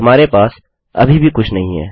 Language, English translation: Hindi, We still dont have anything